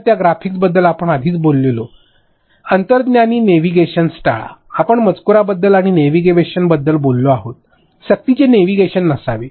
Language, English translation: Marathi, So, turn avoid that intuitive navigation we have already spoken about that graphics, we have spoken about that text and also navigation, do not have forced navigation